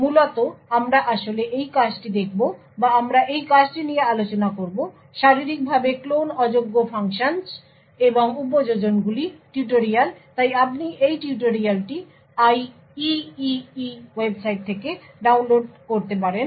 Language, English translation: Bengali, Essentially, we will be actually looking at this paper or we will be discussing this paper called Physically Unclonable Functions and Applications tutorial, So, you can download this tutorial from this IEEE website